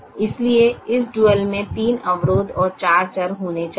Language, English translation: Hindi, therefore, this dual should have three constrains and four variables